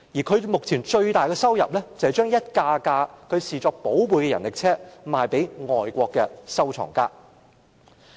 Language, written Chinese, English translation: Cantonese, 他最大的心願，是將一輛輛他視作寶貝的人力車賣給外國的收藏家。, His biggest wish is to sell each of his cherished rickshaws to foreign collectors